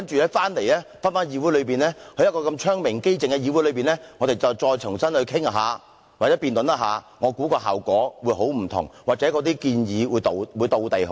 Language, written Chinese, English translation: Cantonese, 然後當他們回到這個窗明几淨的議會內與我們重新討論或辯論時，我相信效果會截然不同，所提出的建議或許會"貼地"得多。, After that when they come back to this nice and clean Chamber for discussions and debates again I believe the results will be vastly different and the recommendations made may also be much more down - to - earth